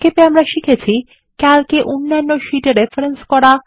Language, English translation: Bengali, To summarize, we learned how to: Reference to other sheets in Calc